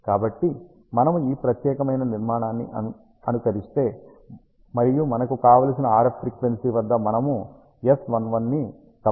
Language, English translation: Telugu, So, if we simulate this particular structure, and we observe the S11 at the desired RF frequency which is 4